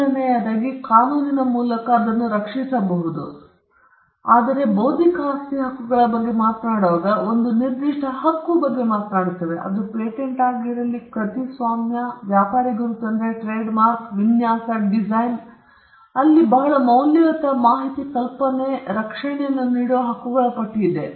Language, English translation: Kannada, The first thing is that they are protectable by law – that’s the first thing; because they could be very valuable information, an idea, which the law does not protect, but when we talk about intellectual property rights, we are talking about a specific right be it a patent, be it copyright, trade mark, design there are a list of rights which are granted protection